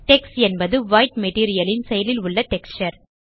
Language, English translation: Tamil, Tex is the White materials active texture